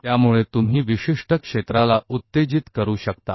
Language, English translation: Hindi, So, you can stimulate a certain region